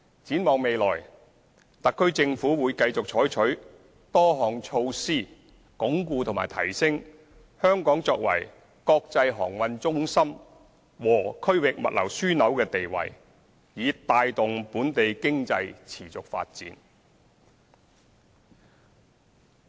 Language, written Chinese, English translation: Cantonese, 展望未來，特區政府會繼續採取多項措施鞏固和提升香港作為國際航運中心和區域物流樞紐的地位，以帶動本地經濟持續發展。, Looking forward the SAR Government will continue to take various measures to consolidate and enhance Hong Kongs position as an international maritime centre and a regional logistics hub to promote the sustainable development of the economy